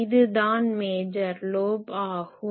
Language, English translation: Tamil, What is a major lobe